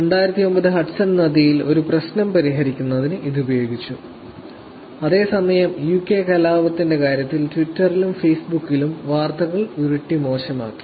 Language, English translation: Malayalam, In the 2009 Hudson River, it was actually used for solving a problem, whereas in this case UK riots made worse by rolling news on Twitter and Facebook